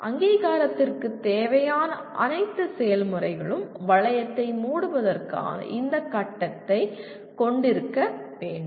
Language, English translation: Tamil, All the processes required for accreditation need to have this step of closing the loop